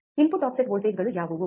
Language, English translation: Kannada, What are input offset voltages